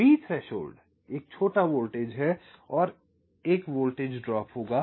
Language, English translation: Hindi, v threshold is a small voltage and there will be a voltage drop